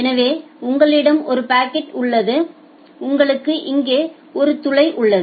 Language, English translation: Tamil, So, you have a bucket and you have a hole here